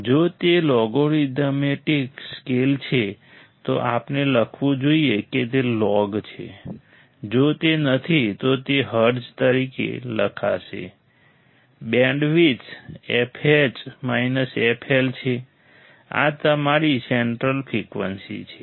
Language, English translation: Gujarati, If it is logarithmic scale then we must write down it is log; if it is not, it will write down as hertz; Bandwidth is f H minus f L this is your central frequency